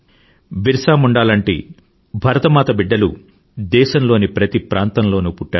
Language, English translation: Telugu, Illustrious sons of Mother India, such as BirsaMunda have come into being in each & every part of the country